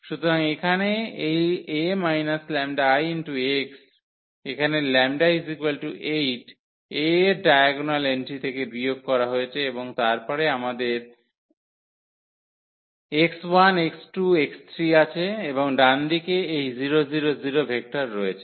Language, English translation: Bengali, So, here this is a minus lambda I; so, this lambda means 8 here was subtracted from the diagonal entries of A and then we have x 1 x 2 x 3 and the right hand side this 0 vector